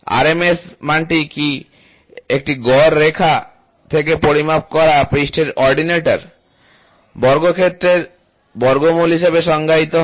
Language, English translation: Bengali, The RMS value is defined as the square root of means of squares of the ordinates of the surface measured from a mean line